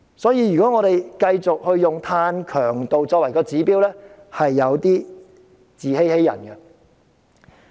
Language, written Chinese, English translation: Cantonese, 所以，如果我們繼續用碳強度作為指標，便有點自欺欺人。, Therefore if we continue to adopt carbon intensity as our indicator this is somewhat self - deceptive